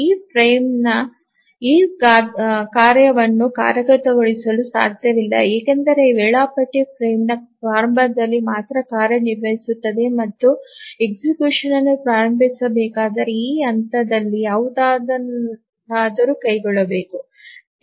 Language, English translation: Kannada, Obviously this frame cannot start execution of this task because the scheduler activities only at the start of the frame and if anything whose execution is to be started must be undertaken at this point